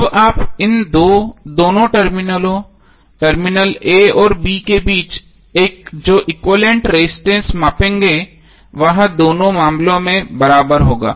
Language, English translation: Hindi, Now the equivalent resistance which you will measure between these two terminal a and b would be equal in both of the cases